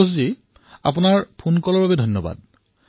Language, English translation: Assamese, Santoshji, many many thanks for your phone call